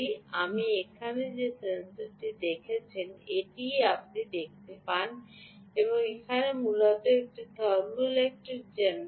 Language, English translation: Bengali, ok, the sensor that you have seen here, the one that you see here, essentially is a thermoelectric generator